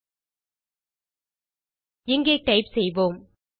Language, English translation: Tamil, Lets type a couple of fields here